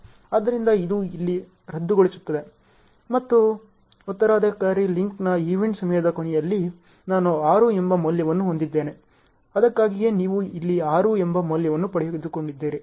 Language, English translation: Kannada, So, this becomes nullified here and what about the late event time of the successor link, I am having a value called 6; that is why you got a value called 6 here